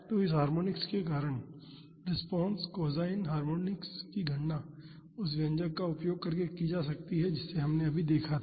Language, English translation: Hindi, So, the response due to this harmonics the cosine harmonics can be calculated using the expression we just saw previously